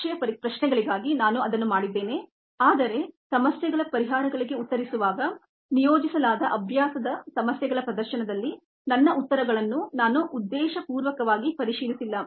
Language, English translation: Kannada, i have done that for the exam questions and so on, but during the ah, in a demonstration of the solutions of the problems, the practice problems that are assigned, i have deliberately not verified my answers